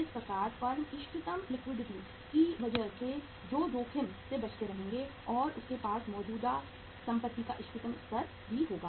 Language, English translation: Hindi, So firm will be avoiding the risk also because of the optimum liquidity and they will be having the optimum level of current assets also